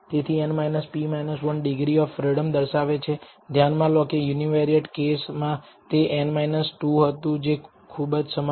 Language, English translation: Gujarati, So, n minus p minus 1 represents the degrees of freedom notice that in the univariate case it would have been n minus 2, very very similar